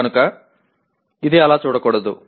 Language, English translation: Telugu, So it should not be seen like that